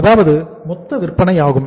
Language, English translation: Tamil, That is total sales we have made this much